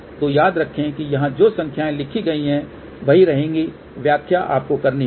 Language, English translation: Hindi, So, remember that the numbers which are written here will remain same; interpretation you have to do